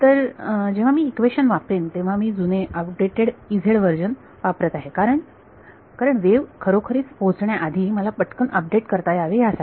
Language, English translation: Marathi, So, when I go to use the equation I am using an older outdated version of E z i in order to prevent that I shall quickly do the update before the wave actually reaches this